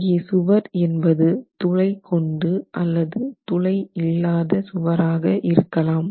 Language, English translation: Tamil, Now the walls can actually be solid walls with no perforations or walls with perforations